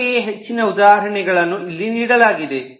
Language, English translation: Kannada, similarly, more examples are given here